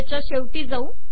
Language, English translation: Marathi, Go to the end of this